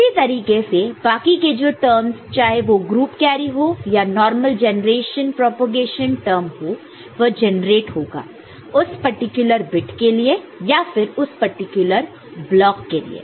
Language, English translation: Hindi, And, similarly for other terms depending on whether it is group carry or normal generation propagation term, it will generate for that particular bit or for that particular block